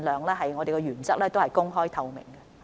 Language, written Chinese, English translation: Cantonese, 就此，我們的原則是盡量公開透明。, In this regard our principle is to be as open and transparent as far as practicable